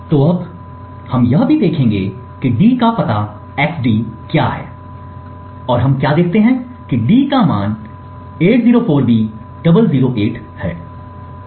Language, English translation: Hindi, So now we will also look at what the address of d is xd and what we see is that d has a value 804b008